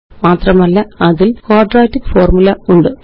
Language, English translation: Malayalam, And there is the quadratic formula